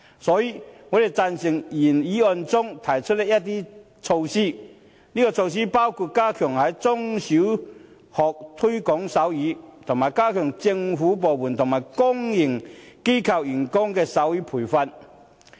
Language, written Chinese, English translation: Cantonese, 所以，我們贊成原議案中提出的一些措施，包括"加強在中、小學推廣手語"，以及"為所有政府部門及公營機構員工提供手語培訓"。, Therefore we support certain measures proposed in the original motion including stepping up the promotion of sign language in primary and secondary schools and providing sign language training for staff of all government departments and public organizations